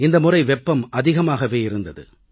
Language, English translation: Tamil, It has been extremely hot this year